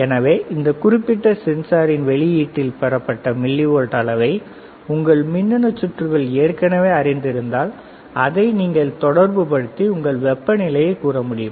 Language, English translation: Tamil, So, if your if your electronic circuits already know that the millivolt obtained at the output of this particular sensor, and you have the values you can correlate it with respect to temperature